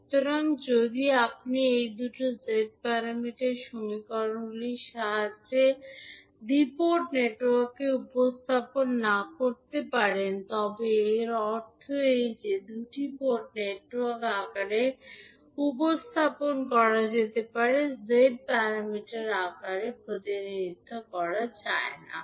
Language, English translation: Bengali, So, if you cannot represent the two port network with the help of these two Z parameter equations it means that those two port networks can be represented in the form of, cannot be represented in the form of Z parameters